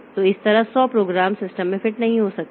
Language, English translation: Hindi, So, that way 100 programs may not be fitting into the system